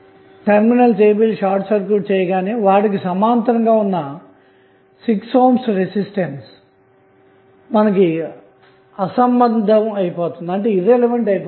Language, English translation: Telugu, Now, when you have this terminal a, b short circuited the 6 ohm resistance will become irrelevant